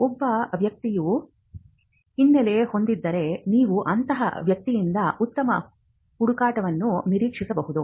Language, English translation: Kannada, And if a person has a background, then you could expect a better search from that person